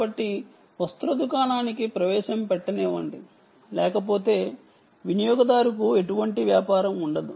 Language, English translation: Telugu, so let me put an entrance for the garment shop, otherwise there is not going to be any business for the user